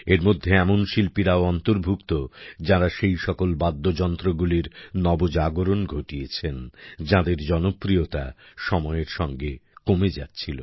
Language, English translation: Bengali, These also include artists who have breathed new life into those instruments, whose popularity was decreasing with time